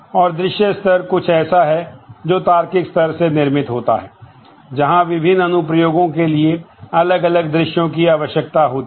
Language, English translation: Hindi, And the view level is something which is constructed from the logical level in terms of different views that the different applications need